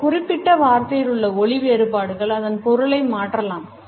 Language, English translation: Tamil, Stress on a particular word may alter the meaning